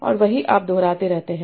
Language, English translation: Hindi, And that's what I keep on repeating